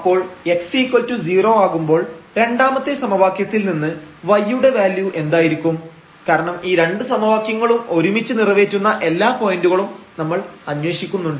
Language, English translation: Malayalam, So, corresponding to this when x is equal to 0 here what will be the value of y from the second equation because we are looking for all the points which satisfy both the equations together